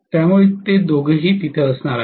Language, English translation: Marathi, So both of them are going to be there